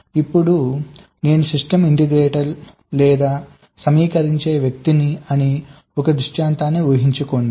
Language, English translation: Telugu, now imagine a scenario that i am ah system integrator or an assembler